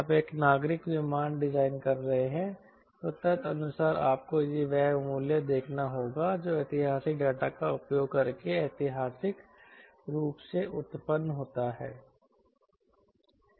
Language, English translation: Hindi, if you are designing a civil aircraft, then accordingly you have to see the value which is historically ah generated, ah generating using historic data